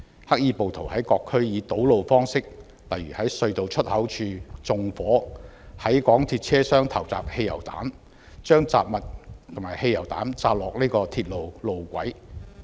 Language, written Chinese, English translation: Cantonese, 黑衣暴徒在各區堵路，例如在隧道出口處縱火、在港鐵車廂投擲汽油、把雜物和汽油彈掉在鐵路路軌。, They blocked roads in various districts set fires at exits of tunnels hurled petrol bombs into MTR train compartments and threw miscellaneous items and petrol bombs onto the tracks